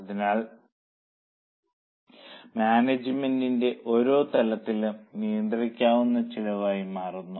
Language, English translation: Malayalam, So, for each level of management, the controllable cost changes